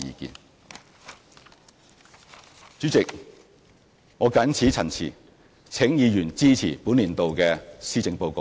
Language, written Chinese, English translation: Cantonese, 代理主席，我謹此陳辭，請議員支持本年度的施政報告。, With these remarks Deputy President I urge Members to support the Policy Address this year